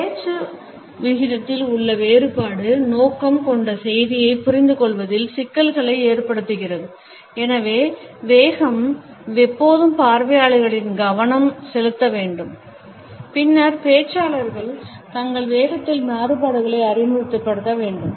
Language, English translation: Tamil, Difference in speech rate causes problems in understanding the intended message, therefore the speed should always focus on the audience and then the speaker should be able to introduce variations in the speed